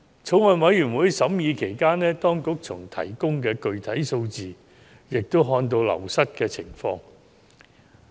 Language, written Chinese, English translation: Cantonese, 法案委員會審議期間，從當局提供的具體數字也看到人手流失的情況。, In the course of deliberation of the Bills Committee we became aware of the situation of manpower wastage from the specific figures provided by the Administration